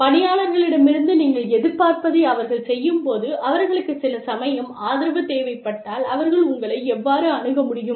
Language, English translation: Tamil, How the employee can reach you, if the employee needs some support, while doing, what is expected of her or him